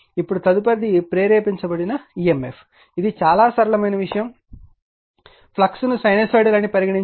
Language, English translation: Telugu, Now, next is induced EMF very simple thing suppose you take flux is sinusoidal one